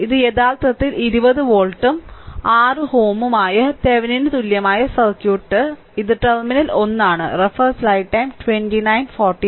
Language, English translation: Malayalam, So, this is actually your Thevenin equivalent circuit that is your 20 volt and 6 ohm and this is the terminal 1 right